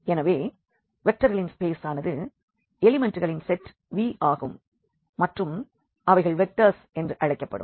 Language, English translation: Tamil, So, this vector space is a set V of elements and called vectors